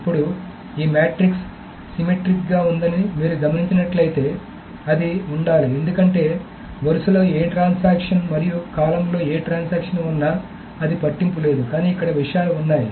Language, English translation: Telugu, Now if you notice this matrix is symmetric as it should be because it doesn't matter which transaction is on the row and which transaction is in the column